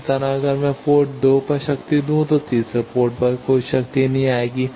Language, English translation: Hindi, Similarly if I give power at port 2 at third port no power will come